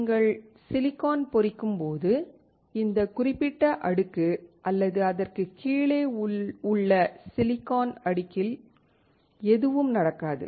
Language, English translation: Tamil, When you etch silicon, nothing happens to this particular layer or the silicon below it